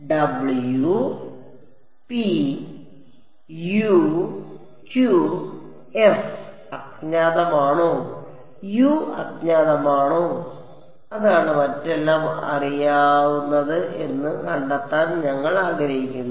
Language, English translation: Malayalam, Is it w p u q f which is unknown U is unknown that is what we want to find out everything else is known